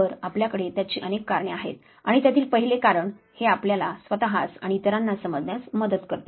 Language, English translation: Marathi, Well couple of reasons, the very first one that it helps us understand oneself, as well as the others